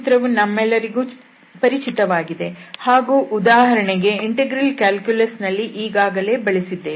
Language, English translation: Kannada, And then this is the familiar formula which we have already used in, for example, the integral calculus